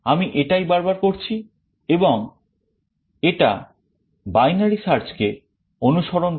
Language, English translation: Bengali, This is what we are doing repeatedly and this emulates binary search